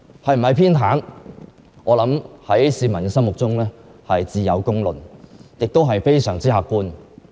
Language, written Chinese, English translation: Cantonese, 是否偏袒，市民心中自有公論，亦是非常客觀的。, People can tell with their own judgment whether favouritism is involved and this is also an objective fact